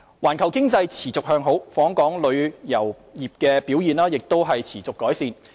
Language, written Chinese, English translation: Cantonese, 環球經濟持續向好，訪港旅遊業表現亦持續改善。, In addition to the favourable global economic trends the performance of inbound tourism industry has also continued to improve